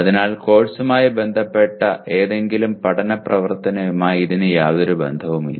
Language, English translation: Malayalam, So it has nothing to do with any learning activity related to the course